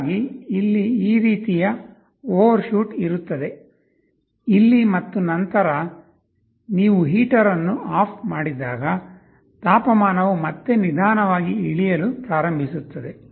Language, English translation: Kannada, Thus, there will be an overshoot like this here, here and then when you turn off the heater the temperature will again slowly start to go down